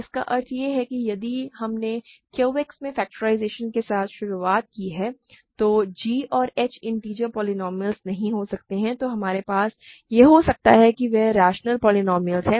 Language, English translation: Hindi, That means, if we started with the factorization in Q X a priori g and h may not be integer polynomials we may have that they are only rational polynomials